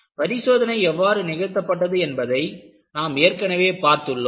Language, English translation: Tamil, We have already seen how the test was performed